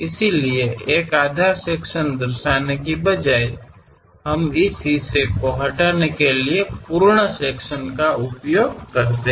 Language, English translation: Hindi, So, instead of showing complete half, full section kind of thing; we use remove this part